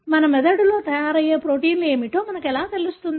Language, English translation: Telugu, So, how do we know what are the proteins that are made in our brain